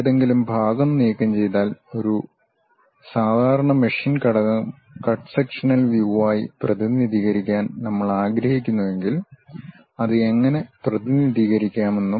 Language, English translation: Malayalam, And, if any part is removed how to represent that and a typical machine element; if we would like to represent it a cut sectional view how to represent that